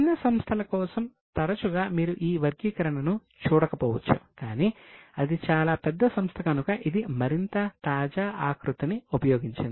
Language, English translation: Telugu, For smaller companies often you may not see this classification but since it is a very big company it has used more latest format